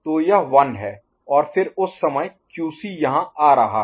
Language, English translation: Hindi, So, this is your 1 and then at that time QC is coming over here